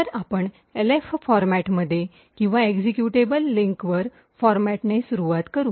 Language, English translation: Marathi, So, we will start with the Elf format or the Executable Linker Format